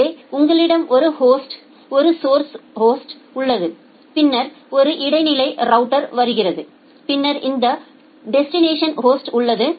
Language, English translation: Tamil, So, you have a host, a source host, then coming to an intermediate router and then there is this destination host